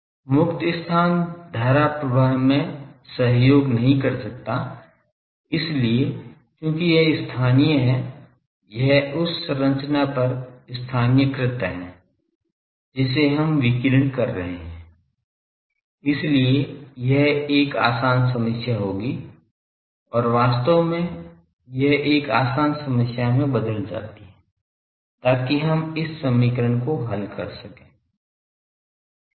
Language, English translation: Hindi, A free space cannot support current, so since it is localized; it is localized over the structure that us radiating that is why it will be an easier problem and in fact, it turns out that this is an easier problem, so we will solve these equation